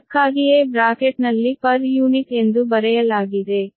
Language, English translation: Kannada, thats why bracket per unit is written